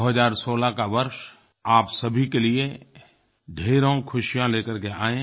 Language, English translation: Hindi, May 2016 usher in lots of joys in your lives